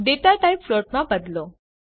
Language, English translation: Gujarati, change the data type to float